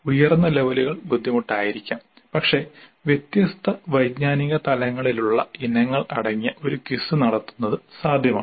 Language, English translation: Malayalam, Higher levels may be difficult but it is possible to have a quiz containing items of different cognitive levels